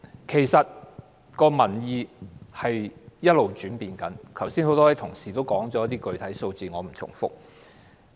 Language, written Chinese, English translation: Cantonese, 其實，民意一直在轉變，很多同事剛才也說過一些具體數字，我不重複了。, In fact public opinion has been changing . Many colleagues have talked about some specific numbers earlier on . I do not repeat them here